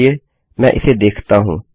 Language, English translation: Hindi, Let me just run through this